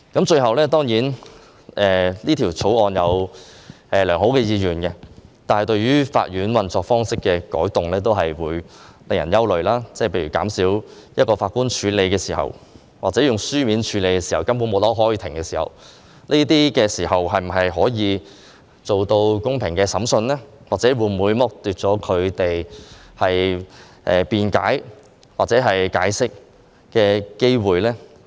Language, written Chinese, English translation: Cantonese, 最後，我認為《條例草案》有良好意願，但對於法院運作方式的改動，的確會令人憂慮；例如上訴法庭減少一名法官審理案件，或者法官以書面處理案件而不親身開庭進行聆訊，這些做法是否能夠做到公平審訊，會否剝奪有關人士辯解的機會呢？, Finally in my view this Bill has good intentions but its changes to the mode of operation of courts will indeed be worrying . For instance when there is one less judge on the bench in CA to hear cases or when the judge can dispose of cases on paper without physically sitting in court can fair trials be possible and will the people concerned be deprived of their chances to defend themselves?